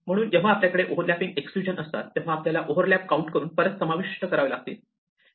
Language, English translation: Marathi, So, when we have these overlapping exclusions, then we have to count the overlaps and include them back